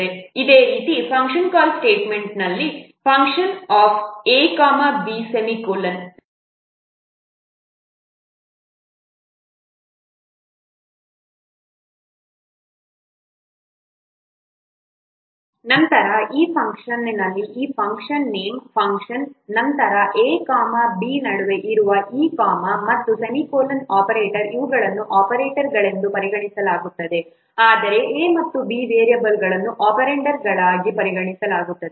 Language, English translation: Kannada, Similarly, if there is a function call statement, function A, B, then in this function, this function name funk, then this comma in present in between A and B and this semicolon operator these are considered the operators whereas variables A and B they are treated as the operands